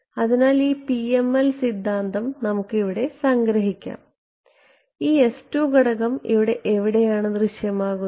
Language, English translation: Malayalam, So, let us sort of summarize this PML theory over here this s 2 parameter over here where does it appear